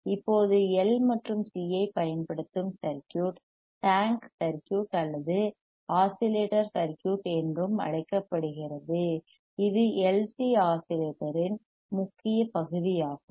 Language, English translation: Tamil, Now the circuit uses or using L and C is also called tank circuit right this also called tank circuit or oscillatory circuity circuit tank circuit or oscillatory circuit